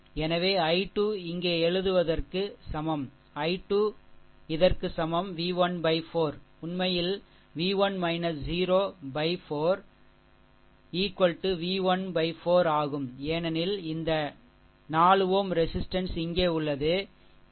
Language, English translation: Tamil, So, i 3 is equal to writing here, i 3 is equal to this is b 1 by 4, actually b 1 minus 0 by 4 that is your b 1 by 4, because this 4 ohm resistances here, right